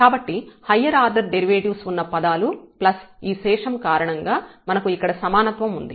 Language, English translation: Telugu, So, in terms of the these higher order derivatives plus the remainder term because we have the equality here